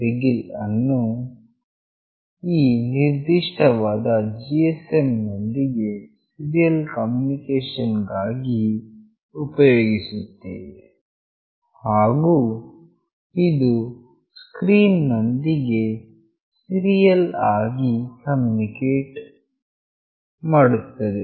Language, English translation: Kannada, begin for this particular serial communication with the GSM, and this is for serial communication with the screen